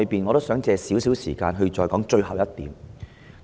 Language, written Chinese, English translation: Cantonese, 我想花少許時間談最後一點。, I wish to spend a little time addressing one last point